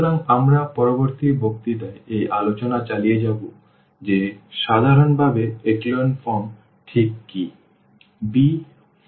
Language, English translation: Bengali, So, this is we will be continuing this discussion in the next lecture what is exactly echelon form in general